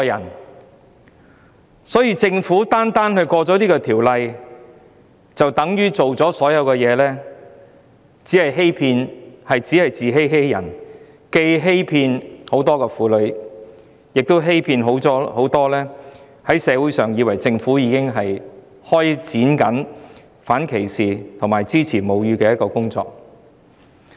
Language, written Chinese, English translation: Cantonese, 如果政府認為通過《條例草案》，便等於做好所有工作，這只是自欺欺人，既欺騙了很多婦女，又欺騙了社會上很多人，他們以為政府已經開展反歧視和支持餵哺母乳的工作。, If the Government thinks that passing the Bill is tantamount to getting all the work done it is deceiving itself as well as deceiving many women and many people in society into thinking that the Government has launched its work on anti - discrimination and breastfeeding support